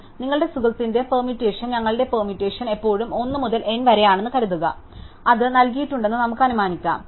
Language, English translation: Malayalam, So, suppose your friend’s permutation, our permutation always 1 to n, so we can just assume it is given